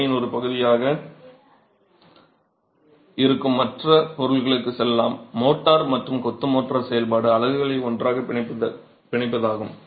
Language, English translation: Tamil, Let's move on to the other material which is part of the composite, the mortar and the function of the masonry motor is to bind the units together